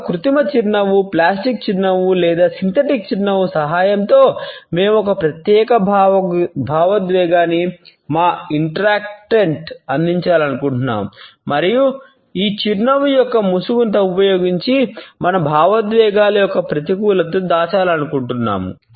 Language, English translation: Telugu, With the help of an artificial smile, a plastic smile or a synthetic smile, we want to present a particular emotion to our interactant and we want to hide the negativity of our emotions using this mask of a smile